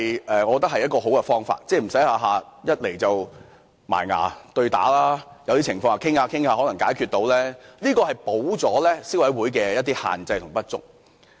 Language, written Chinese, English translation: Cantonese, 我覺得這亦是好方法，令雙方不用動輒打官司，因為有些情況在商討後，是可以解決到的，這能夠彌補消委會的一些限制及不足。, I believe it is a good way to reach reconciliation between the two sides before they have to take the cases to court easily . It is because some disputes can be resolved through mediation under certain circumstances . This is also an option to complement a few limitations and shortcomings of the Consumer Council